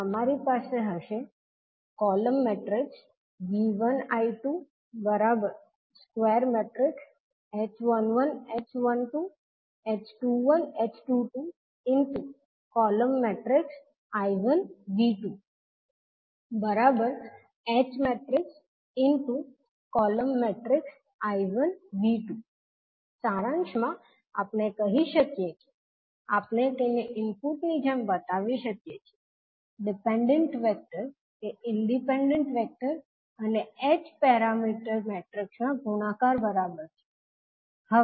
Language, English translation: Gujarati, So in summary we can say that we can be present it like a input the dependent vector is equal to h parameter matrix multiplied by independent vector